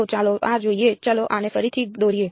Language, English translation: Gujarati, So, let us look at this let us draw this again